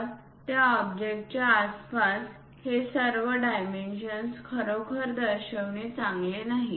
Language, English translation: Marathi, So, it is not a good idea to really show all these dimensions around that object